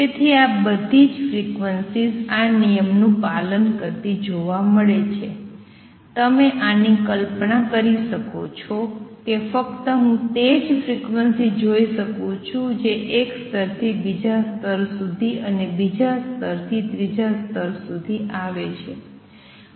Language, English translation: Gujarati, So, all the frequency is data seen follow this rule, you can visualize this that only I see only those frequencies that come from combination of one level to the second level and from second level to the third level I cannot the combine frequency arbitrarily